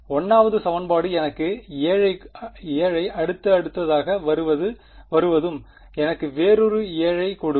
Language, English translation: Tamil, The 1st equation will give me 7 in the next will also give me another 7